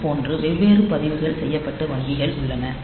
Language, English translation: Tamil, So, like that we have got different registered banks